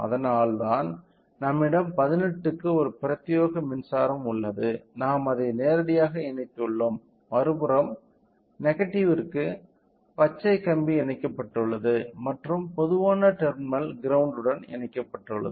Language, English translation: Tamil, So, that is why since we have a dedicated power supply for 18, we have directly connected it and for a negative the green wire has been connected to the other side and the ground which is the common terminal in this case is connected